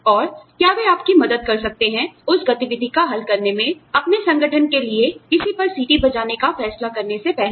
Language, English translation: Hindi, And, whether they can help you, resolve that activity, before deciding to go and blow the whistle, on somebody for your organization